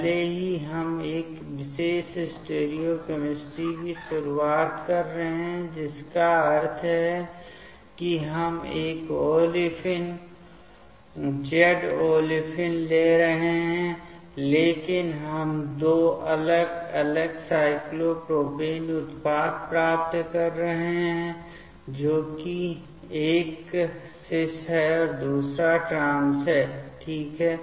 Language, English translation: Hindi, Even though we are starting from one particular stereochemistry that means, we are taking one olefin Z olefin, but we are ending up getting two different cyclopropane product that is one is cis another one is trans fine